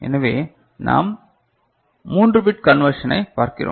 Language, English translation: Tamil, So, we are looking for 3 bit you know conversion